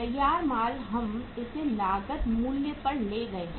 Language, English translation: Hindi, Finished goods we have take it at the cost price